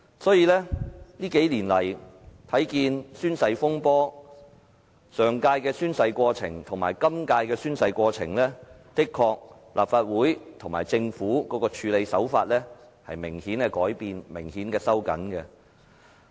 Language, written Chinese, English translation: Cantonese, 這些年來，我們看見的宣誓風波，上屆的宣誓過程與今屆相比，立法會與政府的處理手法的確明顯收緊了。, If we look at the oath - taking incident throughout the years we can easily notice that the Legislative Council and the Government have now adopted a much more stringent standard in dealing with the controversy as compared with the standard applied to the Fifth Legislative Council